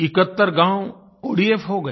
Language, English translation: Hindi, 71 villages became ODF